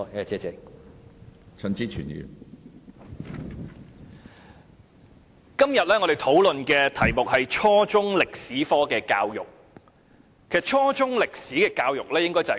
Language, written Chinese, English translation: Cantonese, 主席，今天我們討論的議題與初中歷史教育有關。, President the issue under discussion today is concerned with history education at junior secondary level